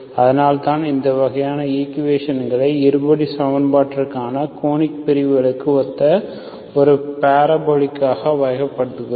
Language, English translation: Tamil, That is why we categorize these kinds of equations as a parabolic based on, so analogous to the conic sections for the quadratic equation